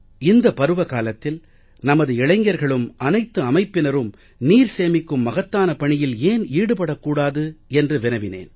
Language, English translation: Tamil, I told them that for this season why don't all these organizations and our youth make an effort for water conservation